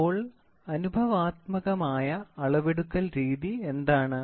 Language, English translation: Malayalam, So, what is empirical method of measurements